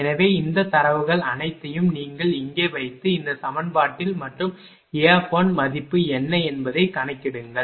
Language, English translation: Tamil, So, all these all these data put here, in this equation and calculate what is the value of a 1